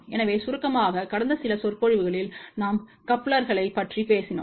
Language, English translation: Tamil, So, just to summarize so, in the last few lectures we talked about couplers